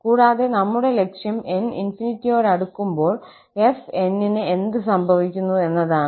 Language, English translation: Malayalam, And, our aim is to now find out that what happens when n approaches to infinity to this fn